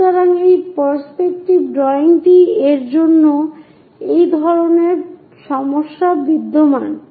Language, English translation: Bengali, So, this kind of problems exist for this perspective drawing